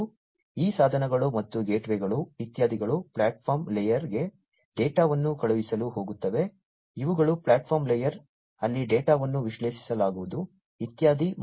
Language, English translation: Kannada, And these devices and the gateways etcetera are going to send the data to the platform layer, these are this is the platform layer, where the data are going to be analyzed, and so on